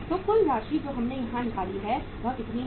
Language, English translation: Hindi, So total amount we have worked out here is how much